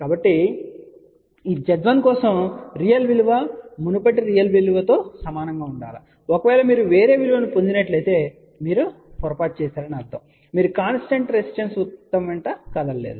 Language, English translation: Telugu, So, for this Z 1, the real part has to be exactly same as the previous real value if you are getting a different value; that means, you are made a mistake, you have not move along the constant resistance circle